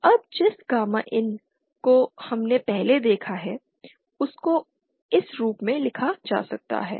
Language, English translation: Hindi, Now the gamma in as we have seen earlier can be written as